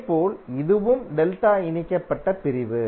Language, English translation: Tamil, And similarly, this also is a delta connected section